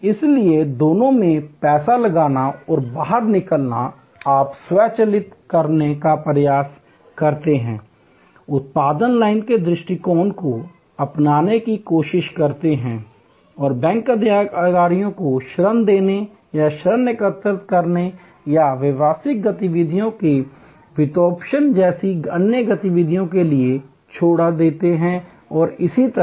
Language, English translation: Hindi, So, both putting in and take out money, you try to automate, try to adopt the production line approach and leave the bank executives for more value generating activities like giving loans or collecting loans or financing of business activities and so, on